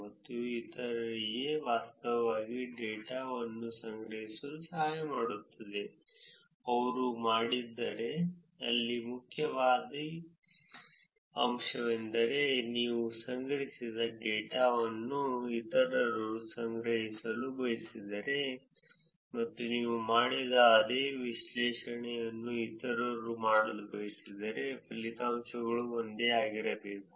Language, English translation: Kannada, This will help others to actually collect data, if they were to, the point here is that if others want to collect the data which is very similar to what you collected; and if others want to do the same analysis that you did the results should be the same